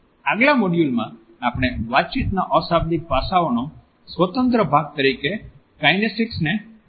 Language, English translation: Gujarati, In our next module we would look at kinesics as an independent part of nonverbal aspects of communication